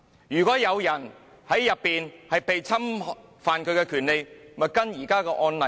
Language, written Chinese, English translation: Cantonese, 如果有人在站內被侵犯權利，便會依照現時的案例處理。, If there is infringement on anyones right in the station it will be handled in accordance with the existing precedents